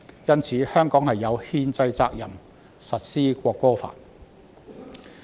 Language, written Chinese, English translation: Cantonese, 因此，香港有憲制責任實施《國歌法》。, For this reason Hong Kong has the constitutional responsibility to implement the National Anthem Law